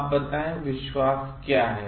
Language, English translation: Hindi, Now, what is confidence